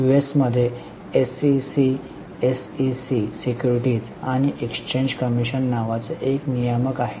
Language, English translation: Marathi, In US, there is a regulator called SEC, SEC, Securities and Exchange Commission